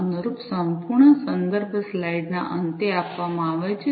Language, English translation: Gujarati, the corresponding complete reference is given at the end of the slides